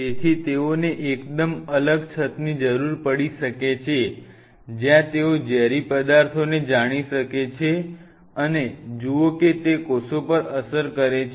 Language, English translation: Gujarati, So, they may need a very separate hood where they can play out with there you know toxic material and see they are effect on the cells